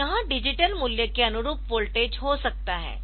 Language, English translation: Hindi, So, this may be the voltage corresponding to the digital value 1